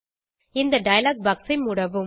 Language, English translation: Tamil, Close this dialog box